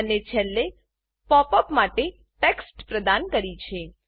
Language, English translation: Gujarati, And finally provided the text for the pop up